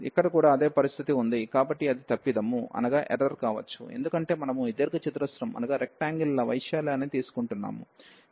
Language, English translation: Telugu, Here also the same situation, so they could be in error, because we are taking the area of these rectangles